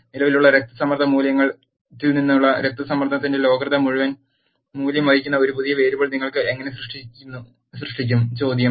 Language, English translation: Malayalam, How do you create a new variable which carries the logarithm value of the blood pressure from the existing blood pressure value is the question